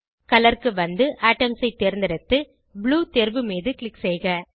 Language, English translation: Tamil, Scroll down to Color select Atoms and click on Blue option